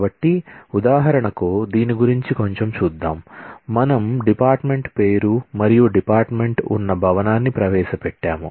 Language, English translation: Telugu, So, let us have a little look into this for example, we have introduced the department name and the building in which the department is housed